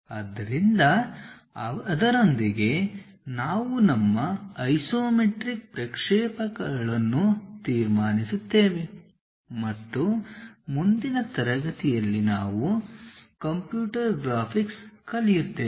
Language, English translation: Kannada, So, with that we will conclude our isometric projections and in the next class onwards we will learn about computer graphics